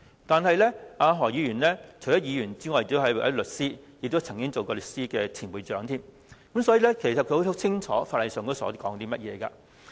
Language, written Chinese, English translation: Cantonese, 但是，何議員除了是議員之外，還是一名律師，也曾經是香港律師會的前會長，所以，他應該十分清楚法例條文。, However Dr HO is not just a Member of this Council he is also a lawyer and a former President of The Law Society of Hong Kong . Thus he should be conversant with the relevant legal provisions